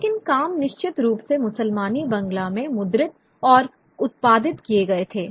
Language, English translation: Hindi, You know, but works were certainly printed and produced in Muslimi Bangla